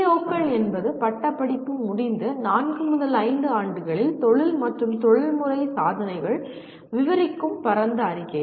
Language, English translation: Tamil, PEOs are broad statements that describe the career and professional accomplishments in four to five years after graduation